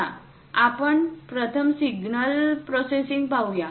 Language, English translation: Marathi, Let us look at first signal processing